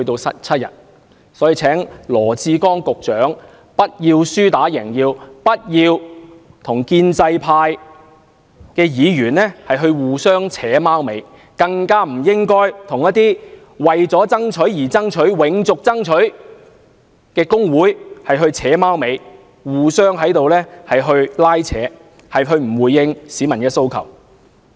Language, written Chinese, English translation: Cantonese, 所以，我請羅致光局長不要輸打贏要，不要與建制派議員"互扯貓尾"、合謀蒙騙，更不應該與那些為爭取而爭取、要"永續爭取"的工會"扯貓尾"，互相拉扯，而不回應市民訴求。, Therefore I urge Secretary Dr LAW Chi - kwong to stop acting like a sore loser and conniving with pro - establishment Members in an attempt to deceive people by their conspiracy . He should not even connive with trade unions which strive for strivings sake advocate for perpetuate struggle and refuse to respond to peoples demands